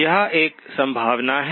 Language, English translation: Hindi, That is one possibility